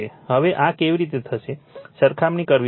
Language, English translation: Gujarati, Now, how you will do this, you have to compare